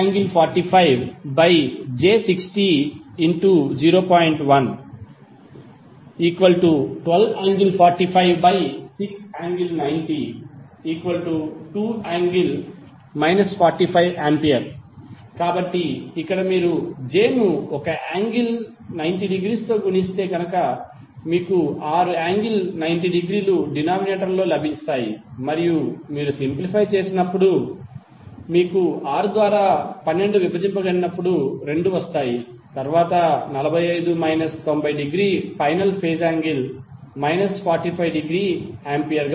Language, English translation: Telugu, So, here if you multiply j with one angle 90 degree you will get six angle 90 degree as a denominator and when you simplify, the 12 will be come 2 when you divided it by 6 and then 45 minus 90 degree would be the final phase angle that is minus 45 degree Ampere